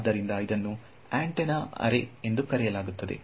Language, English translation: Kannada, So, it is called an antenna array ok